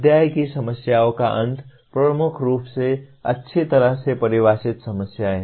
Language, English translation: Hindi, End of the chapter problems are dominantly well defined problems